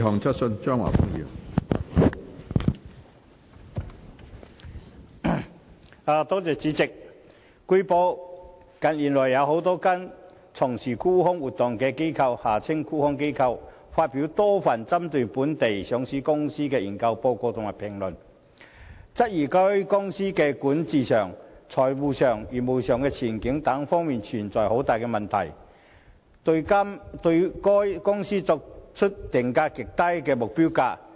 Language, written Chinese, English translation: Cantonese, 主席，據報，近月有多間從事沽空活動的機構發表多份針對某些本地上市公司的研究報告或評論，質疑該等公司在管治、財務及業務前景等方面存在問題，並對該等公司訂出極低的目標股價。, President it has been reported that in recent months a number of institutions engaged in short selling activities published a number of research reports or commentaries targeted at certain local listed companies querying that such companies had problems in areas such as governance finances and business prospects and setting extremely low target share prices for such companies